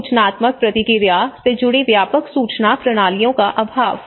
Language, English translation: Hindi, Lack of comprehensive information systems linked to pre emptive response okay